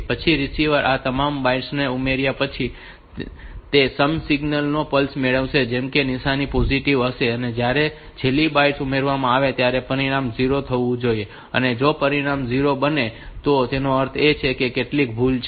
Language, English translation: Gujarati, The receiver after adding all the bytes, it will get the plus of that sum signal whose sign sig sign will be positive and when the last byte will be added the result should become 0 the result does not become 0; that means, there is some error